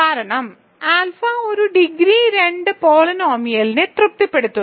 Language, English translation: Malayalam, This is because alpha satisfies a degree 2 polynomial, so the reason is this